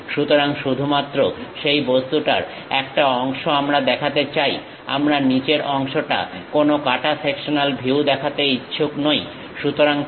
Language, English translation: Bengali, So, only part of that object we would like to really show; we are not interested about showing any cut sectional view at bottom portion